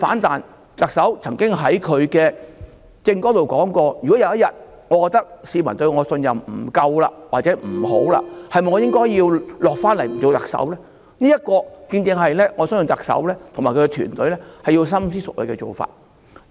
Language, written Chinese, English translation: Cantonese, 特首曾經說過，"如果有一天我覺得市民對我的信任不夠，或者不好的時候，我是否應該下來不做特首"，我相信這正正是特首和她的團隊要深思熟慮的事情。, The Chief Executive once said to this effect If one day I feel that the trust of the public in me is inadequate or not good enough I will consider if I should step down as the Chief Executive . I believe this is precisely what the Chief Executive and her team need to think over now